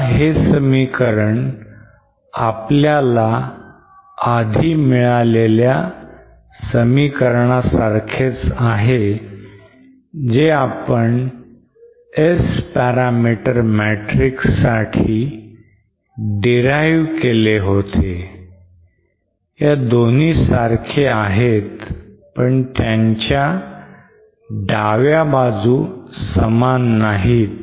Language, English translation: Marathi, Now since this expression we call this same as the expression that we had earlier derived for our S parameter matrix if we recall that expression for S parameter matrix that we had earlier derived was like this both, these 2 are same but the left hand sides are not the same